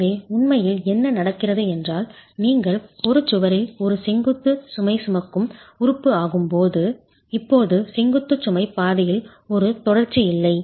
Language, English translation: Tamil, So, what really happens is when you have an opening in a wall, when you have an opening in a wall, wall which is a vertical load carrying element now does not have a continuity in the vertical load path